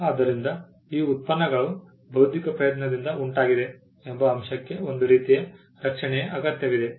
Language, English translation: Kannada, So, the fact that these products resulted from an intellectual effort needed some kind of a protection